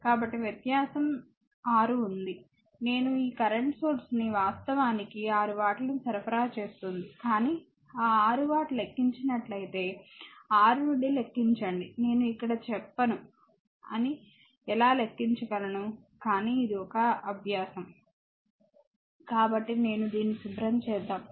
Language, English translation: Telugu, So, 6 differences is there I am telling you this current source actually supplying 6 watt, but you calculate from how 6 if that 6 watt you calculate from your said the how can you calculate that I will not tell here, but it is an exercise for you right So, I am let me clean this